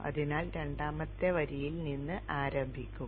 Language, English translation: Malayalam, So start from the second line